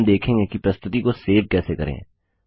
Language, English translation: Hindi, Now lets learn how to save the presentation